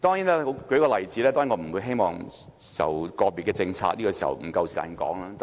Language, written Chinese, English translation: Cantonese, 我舉一個例子，當然我不希望討論個別政策，現在不夠時間說。, I will quote an example but I of course do not intend to discuss individual policy and I do not have the time anyway